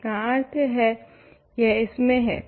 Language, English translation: Hindi, So, this means among